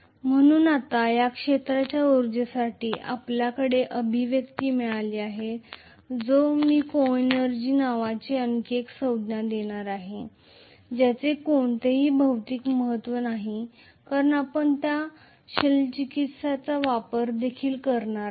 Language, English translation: Marathi, So now that we have got the expression for this field energy, I am going to introduce one more term called coenergy which does not have any physical significance because we are going to use that coenergy also